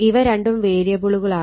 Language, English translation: Malayalam, these two are variable